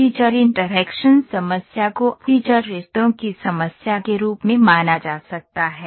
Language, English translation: Hindi, The feature interaction problem can be treated as a problem of feature relationship